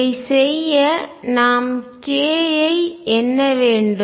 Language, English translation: Tamil, To do this we need to count k